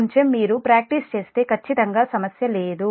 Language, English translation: Telugu, little bit you practice, then absolutely there is no problem